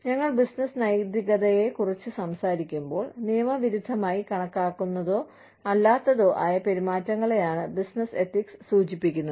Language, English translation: Malayalam, When we talk about business ethics, business ethics is refers to, those behaviors, that may or may not be considered, un lawful